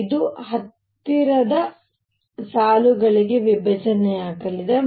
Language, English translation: Kannada, This is going to split into nearby lines